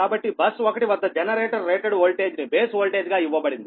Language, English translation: Telugu, so the generator rated voltage is given as the base voltage at bus one